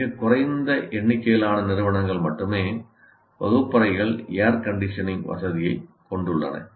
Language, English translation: Tamil, And very small number of institutions have the facility to air condition the classrooms